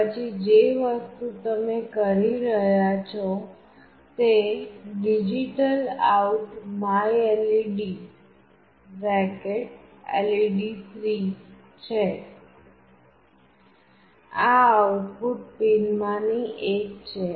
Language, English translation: Gujarati, Then the next thing that you are doing is DigitalOut myLED , this is one of the output pins